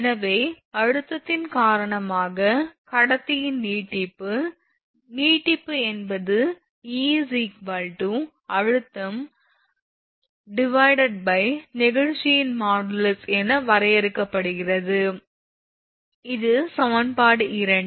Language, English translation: Tamil, So, elongation e of the conductor due to the tension, is that elongation e can be defined as that e is equal to stress divided by modulus of elasticity, this is equation 2